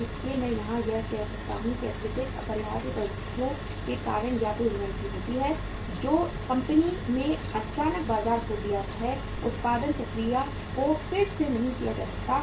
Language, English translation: Hindi, So I can say here that excessive inventory takes place either due to some unavoidable circumstances that company suddenly lost the market, production process cannot be readjusted